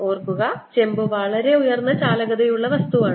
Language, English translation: Malayalam, copper, remember, is a very high conductivity ah material